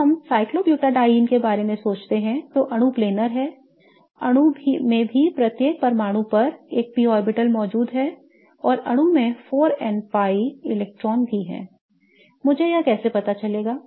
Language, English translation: Hindi, If we think of cyclobutodyne then the molecule is planer, then the molecule also has a p orbital present on each atom and the molecule also has 4 n pi electrons